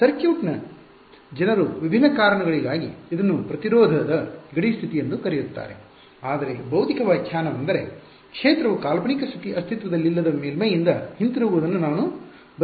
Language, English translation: Kannada, Circuit’s people call it impedance boundary condition for different reasons ok, but the physical interpretation is this I do not want to field to come back from a hypothetical non existence surface ok